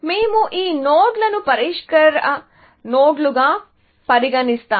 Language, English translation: Telugu, So, we will treat those nodes as solve nodes